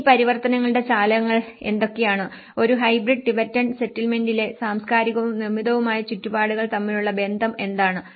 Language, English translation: Malayalam, And what are the drivers of these transformations and what is the relationship between the cultural and the built environments in a hybrid Tibetan settlement